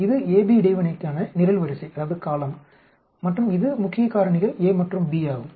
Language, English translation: Tamil, This is the column for interaction AB and this is the main factor a and b this is the interaction A, B